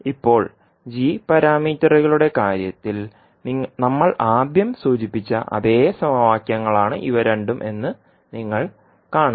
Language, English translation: Malayalam, So now, you will see that these two are the same equations which we initially mentioned in case of g parameters